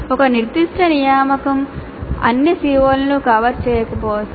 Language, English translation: Telugu, Once again a specific assignment may not cover all the COs